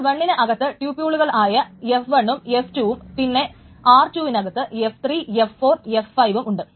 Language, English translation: Malayalam, So suppose there are these tuples F1 and F2 and under R2 there is this F3, F4 and F5